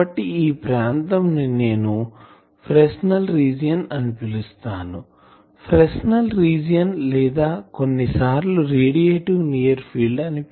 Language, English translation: Telugu, So, this region I will say Fresnel region, Fresnel region or sometimes called radiative near field